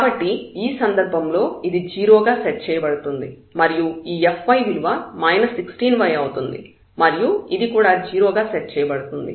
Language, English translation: Telugu, So, in this case this will be set to 0 and this fy will be minus 16 y is equal to 0